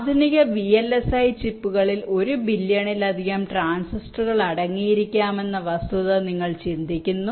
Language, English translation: Malayalam, you think of the fact that modern day vlsi chips can contain more than a billion transistors